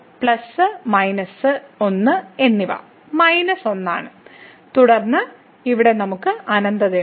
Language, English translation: Malayalam, So, plus and into minus one is minus one and then, here we have infinity